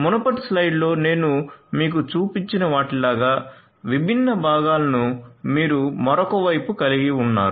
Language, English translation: Telugu, And then you have on the other side you have all these different components like the ones that I had shown you in the previous slide